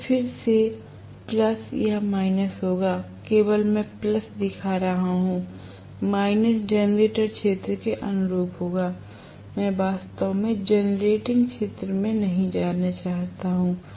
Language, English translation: Hindi, This is what I remember, this will be again plus or minus only I am showing plus, minus will correspond to generator region I am not really going into generating region okay